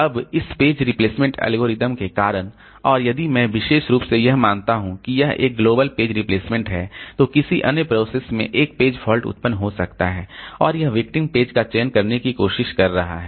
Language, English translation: Hindi, Now, due to this page replacement algorithm and if I particularly assume that it's a global page replacement, some other process might have generated a page fault and it is trying to select the victim